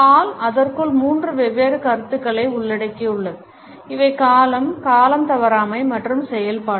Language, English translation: Tamil, Hall has included three different concepts within it and these are duration, punctuality and activity